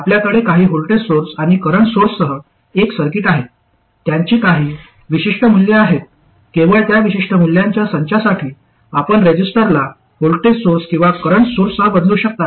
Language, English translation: Marathi, You have a circuit with some voltage sources and current sources, they have some particular values, only for that particular set of values you could replace a resistor with a voltage source or a current source